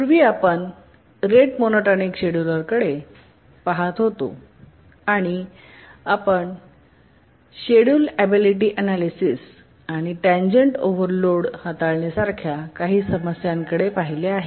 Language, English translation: Marathi, We are looking at the rate monotonic scheduler and we had looked at some issues, the schedulability analysis and also we looked at the transient overload handling and so on